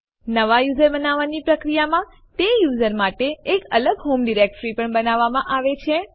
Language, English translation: Gujarati, In the process of creating a new user, a seperate home directory for that user has also been created